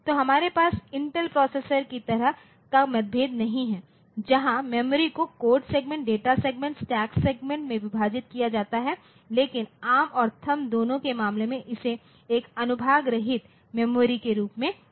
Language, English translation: Hindi, So, we do not have differentiation like this is true for some Intel processors where the memory is divided into code segment, data segment, stack segment like that, but in case of both ARM and THUMB it is taken as a un unsegmented memory